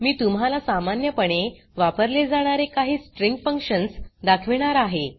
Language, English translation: Marathi, I am going to show you some of the commonly used string functions